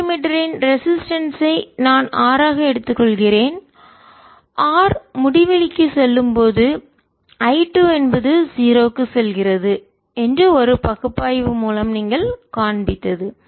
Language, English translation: Tamil, he did a very thorough job of taking resistance of the voltmeter and then taking the limit that r was tending to infinity and i two was tending to zero